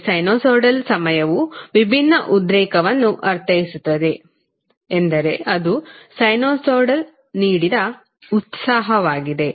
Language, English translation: Kannada, So, the sinusoidal time wearing excitations means that is excitation given by a sinusoid